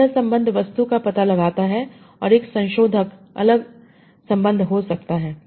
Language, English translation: Hindi, So this relation, direct object and a modifier can be different relations